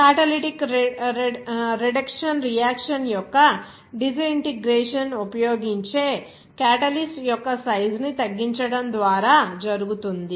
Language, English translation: Telugu, In the disintegration of catalytic reduction reaction by reducing the size of the catalyst used